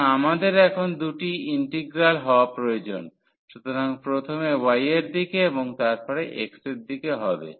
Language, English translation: Bengali, So, we need to have two integrals now; so, in the direction of y first and then in the direction of x